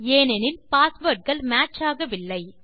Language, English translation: Tamil, This is because the passwords do not match